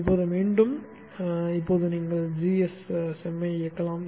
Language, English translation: Tamil, Now again now you can run GSEM